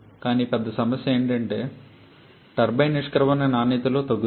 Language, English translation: Telugu, But the bigger problem is the reduction in the turbine exit quality